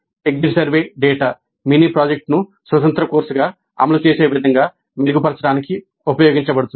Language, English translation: Telugu, Exit survey data is used to improve the implementation of the mini project as an independent course next day it is offered